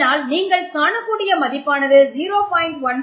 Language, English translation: Tamil, So you have a value of 0